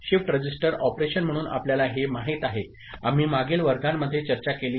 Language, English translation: Marathi, That is what we know as shift register operation, we have discussed in the previous classes, ok